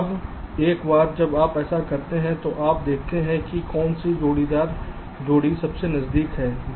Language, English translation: Hindi, now, once you do this, ah, ah, you see that which pair of vertices are the closest